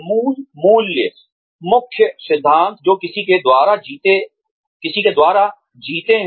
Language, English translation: Hindi, Basic core values, core principles that one lives by